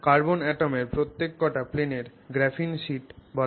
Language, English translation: Bengali, Now, each plane of carbon atoms is referred to as a graphene sheet